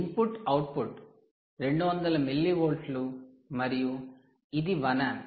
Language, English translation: Telugu, the input output is just two hundred milli volts and its one amp